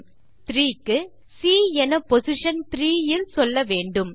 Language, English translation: Tamil, And for three, it will say C is in position 3, and so on